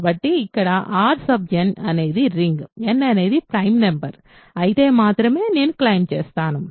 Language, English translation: Telugu, So, here R n is a ring, I claim if and only if n is a prime number